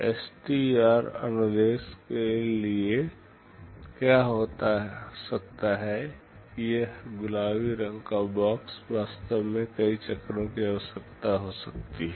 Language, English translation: Hindi, But for STR instruction what might happen that this pink colored box can actually require multiple cycles